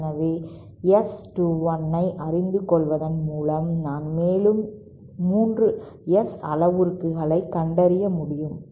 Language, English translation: Tamil, So, just by knowing S 21, I find out 3 more S parameters